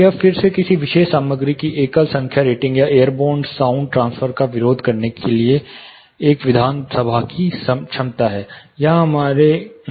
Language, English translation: Hindi, It is again a single number rating of a particular material, or an assembly’s ability to resist airborne sound transfer